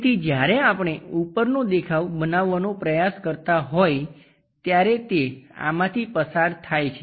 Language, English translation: Gujarati, So, the top view when we are trying to make it it goes via this one